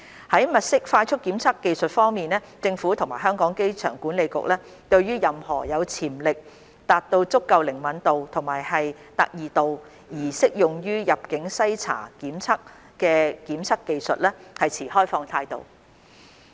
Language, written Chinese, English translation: Cantonese, 在物色快速檢測技術方面，政府及香港機場管理局對於任何有潛力達到足夠靈敏度及特異度而適用於入境篩查檢測的檢測技術持開放態度。, As regards the identification of rapid test technologies the Government and the Airport Authority Hong Kong are open to any testing technologies that have the potential in achieving a level of sensitivity and specificity suitable for boundary screening purposes